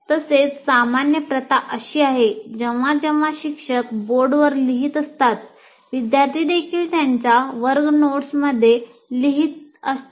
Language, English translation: Marathi, And also what happens, the common practice is whenever teacher writes on the board, the student also writes in his class notes